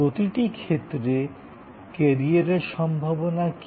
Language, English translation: Bengali, What are the career prospects in each case